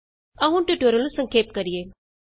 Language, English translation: Punjabi, Let us now summarize the tutorial